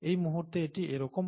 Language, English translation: Bengali, This is how it is right now